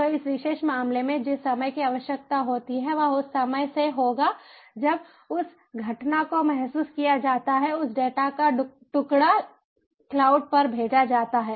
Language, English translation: Hindi, so in this particular case, the time that is required will be the time from when that event is sensed, that peace of data is sent to the cloud